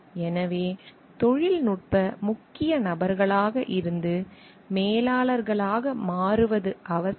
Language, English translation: Tamil, So, the transition from being technical core people to mangers requires